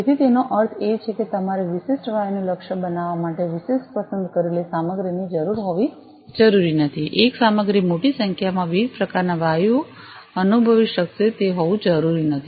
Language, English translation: Gujarati, So that means, that you need to have specific selected materials for targeting specific gases it is not like you know one material will be able to sense large number of different types of gases it is not like that